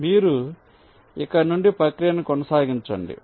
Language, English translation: Telugu, so you continue the process from here